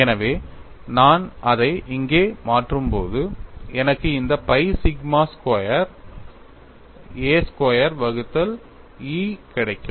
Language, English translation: Tamil, So, when I differentiate this, I get G as pi sigma squared a divided by E